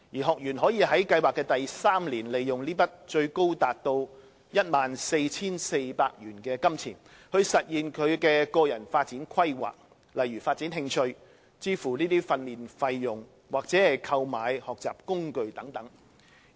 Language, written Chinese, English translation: Cantonese, 學員可以在計劃的第三年利用這筆最高達 14,400 元的金錢，實現他的個人發展規劃，例如發展興趣、支付訓練費用或購買學習工具。, In the third year of the project the participant may use his or her savings which can be accumulated up to a maximum sum of 14,400 to implement his or her personal development plan such as developing an interest paying for training costs or purchasing learning tools